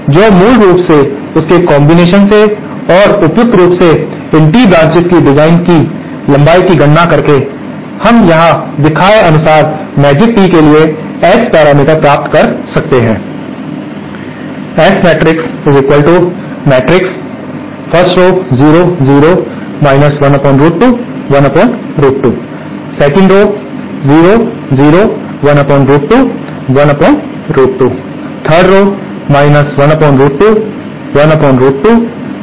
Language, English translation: Hindi, So, basically by a combination of this and by suitably arranging the suitably calculate designing length of these tee branches, we can obtain the S parameter matrix for the Magic Tee as shown here